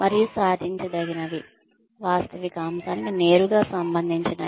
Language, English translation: Telugu, And, achievability is, directly related to, the realistic aspect